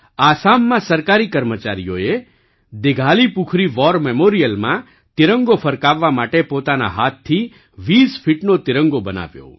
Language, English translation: Gujarati, In Assam, government employees created a 20 feet tricolor with their own hands to hoist at the Dighalipukhuri War memorial